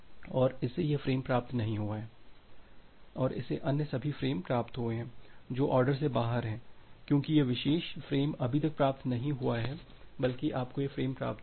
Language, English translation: Hindi, And, it has not received this frame and it has received all other frames which is received out of order because this particular frame has not been received yet rather you have received this frames